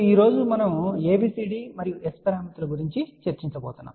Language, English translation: Telugu, Today we are going to talk about ABCD and S parameters